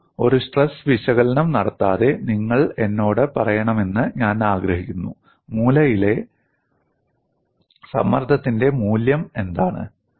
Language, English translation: Malayalam, See, without performing a stress analysis, I want you to tell me, what is the value of stress at the corner